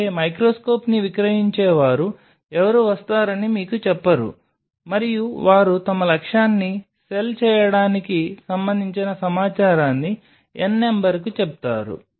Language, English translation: Telugu, That is something which no seller of microscope will tell you they will come and they will tell you n number of info which is to cell their objective